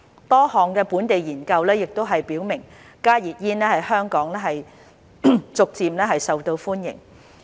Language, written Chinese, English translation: Cantonese, 多項本地研究亦表明加熱煙在香港逐漸受到歡迎。, A number of local studies have also shown that heated tobacco products HTPs are gaining popularity in Hong Kong